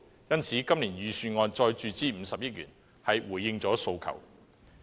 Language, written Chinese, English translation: Cantonese, 因此，今年預算案再注資50億元是回應了訴求。, Hence the additional injection of 5 billion in this years Budget has responded to our request